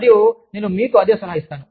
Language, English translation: Telugu, And, i will advise you, the same thing